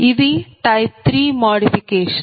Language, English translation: Telugu, this is type two modification